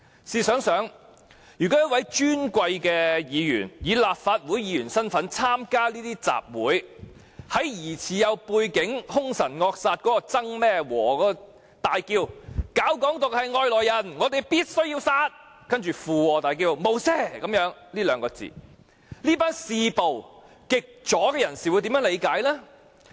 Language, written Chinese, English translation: Cantonese, 試想一想，如果一位尊貴議員以立法會議員身份參加這些集會，在那位疑似有背景且兇神惡煞的曾姓人士大呼"搞'港獨'是外來人，我們必須殺"之後，附和叫出"無赦"這兩個字，這群嗜暴的極左人士會如何理解？, Let us come to think about this if an Honourable Member attended the rally in his capacity as a Member of the Legislative Council echoed the speech of that person surnamed TSANG who is a fierce - looking man suspected of having a certain kind of background that Anyone advocating Hong Kong independence are outsiders we must kill them and chanted the two words No mercy how would this group of extreme leftists who are addicted to violence interpret the whole thing?